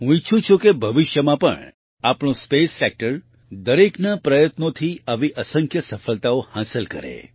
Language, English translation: Gujarati, I wish that in future too our space sector will achieve innumerable successes like this with collective efforts